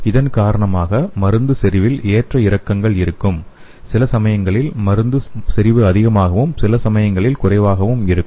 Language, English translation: Tamil, Because of this, there will be a fluctuation in the drug concentration, sometimes the concentration of drug is high and sometimes low